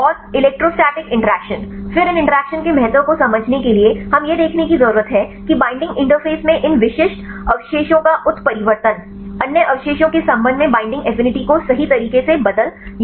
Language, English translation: Hindi, And electrostatic interaction, then to understand the importance of these interactions we need to see whether the mutation of these specific residues at the binding interface, change or alter the binding affinity right with the respect to other residues